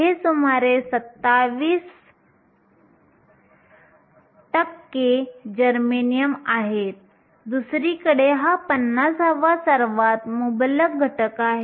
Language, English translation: Marathi, These are around 27 percent germanium, on the other hand, it is the fiftieth most abundant element